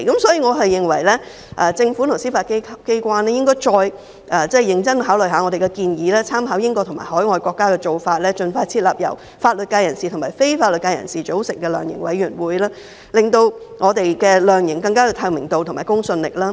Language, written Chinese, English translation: Cantonese, 所以，我認為政府和司法機關應該認真考慮我們的建議，參考英國和海外國家的做法，盡快設立由法律界人士和非法律界人士組成的量刑委員會，令量刑更具透明度和公信力。, For this reason I think the Government and the judiciary should seriously consider our proposal . They should draw reference from the practices in the United Kingdom and other overseas countries and expeditiously set up a sentencing commission formed by members inside and outside the legal sector to enhance the transparency and credibility of sentencing